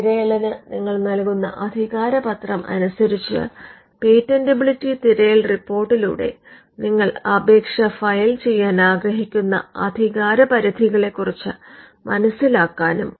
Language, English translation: Malayalam, Because, the patentability search report depending on the mandate you give to the searcher can also search for jurisdictions where you want to enter eventually